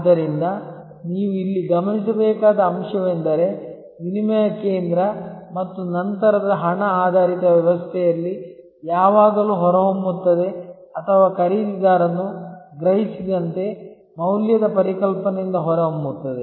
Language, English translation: Kannada, So, the key point therefore, you should note here, that the barter system and the later on the money based system, always emerge or have emerge from the concept of value as perceived by the buyer